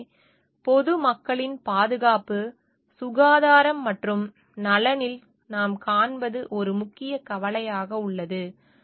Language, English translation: Tamil, So, what we see in the safety, health and welfare of the public is one major concern